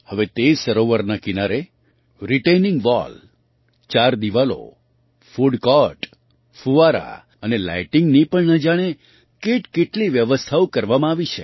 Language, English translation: Gujarati, Now, many arrangements have been made on the banks of that lake like retaining wall, boundary wall, food court, fountains and lighting